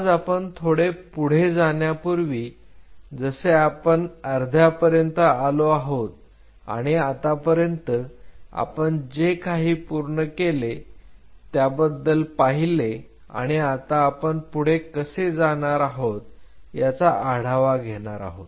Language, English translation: Marathi, Today before we proceed further since we are halfway through we will just take a stock of what all we have covered and how we are going to proceed further